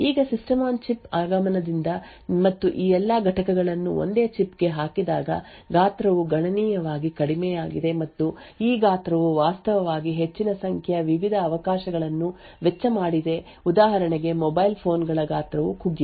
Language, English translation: Kannada, Now with the advent of the System on Chip and lot of all of this components put into a single chip the size has reduced considerably and this size actually cost a large number of different opportunities for example the size of mobile phones etc